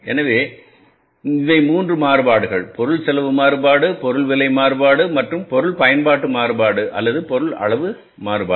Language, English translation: Tamil, Material cost variance, material price variance and the material usage variance or the material quantity variance